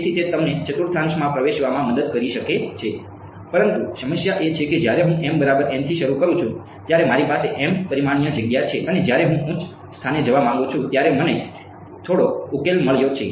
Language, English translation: Gujarati, So, it may help you in sort of getting into the right quadrant, but the problem is when I start with m equal to n, I have an m dimensional space and I have got some solution over there now when I want to go for a higher resolution let us say I go to you know 100 m